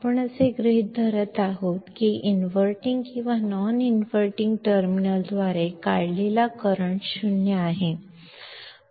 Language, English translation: Marathi, What we are assuming is that the current drawn by inverting or non inverting terminals is 0